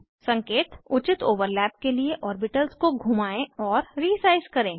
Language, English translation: Hindi, * Hint: Rotate and resize the orbitals for proper overlap